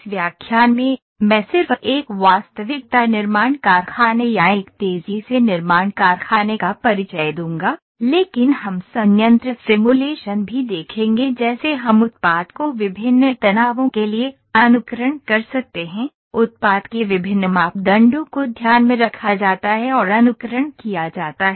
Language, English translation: Hindi, In this lecture, I will just introduce what is a reality manufacturing factory or a rapid manufacturing factory, but we will also see plant simulation like we can simulate for the product the various stresses, various parameters of the product are taken into account and are simulated before actually manufacturing the product